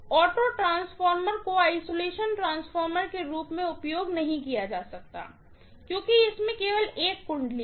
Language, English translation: Hindi, Auto transformer cannot be used as an isolation transformer because it has only one winding